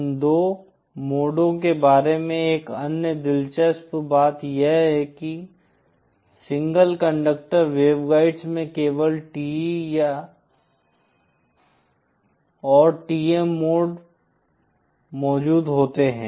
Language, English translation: Hindi, Other interesting thing about these two modes is in single conductor waveguides, only TE and TM modes exist